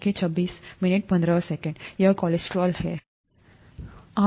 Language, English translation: Hindi, This is cholesterol, right